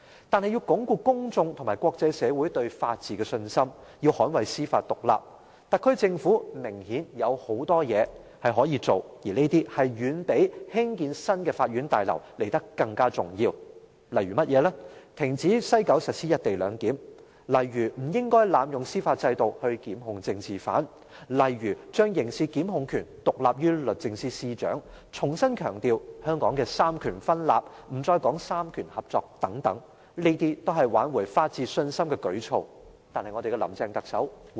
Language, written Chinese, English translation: Cantonese, 但是，要鞏固公眾和國際社會對法治的信心、要捍衞司法獨立，特區政府明顯有很多事情可做，而這些遠比興建新的法院大樓來得更重要，例如停止在西九龍站實施"一地兩檢"安排，例如不應濫用司法制度檢控政治犯，例如將刑事檢控權獨立於律政司司長，重新強調香港三權分立，不再說三權合作等，這都是挽回法治信心的舉措。, However in order to consolidate the confidence of the public and international society in the rule of law and safeguard judicial independence the Government of the Special Administrative Region SAR obviously has to do much more which is far more important than building the new court buildings . For instance it can suspend the implementation of the co - location arrangement at the West Kowloon Station stop abusing the judicial system to prosecute political prisoners have the criminal prosecution right independent from the Secretary for Justice re - emphasize separation instead of collaboration of powers in Hong Kong . All these are measures to restore the confidence in the rule of law